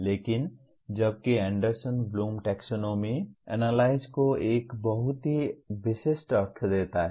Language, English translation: Hindi, But whereas Anderson Bloom Taxonomy gives a very specific meaning to Analyze